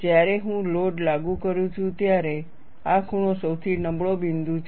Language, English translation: Gujarati, When I apply the load, this corner is the weakest point